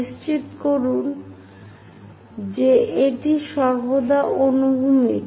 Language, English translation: Bengali, Make sure that this is always be horizontal